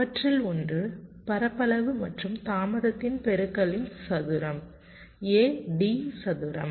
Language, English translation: Tamil, one of them was the product of area and delay, square a, d square